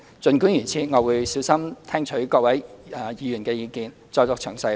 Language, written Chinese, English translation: Cantonese, 儘管如此，我會小心聽取各位議員的意見，再作詳細回應。, That said I will listen to Members views carefully and answer in detail accordingly